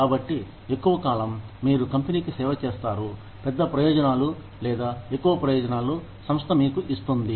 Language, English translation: Telugu, So, that the longer, you serve the company, the larger the benefits, or the more the benefits, that the company gives you